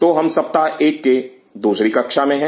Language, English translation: Hindi, So, we are in to week 1 class 2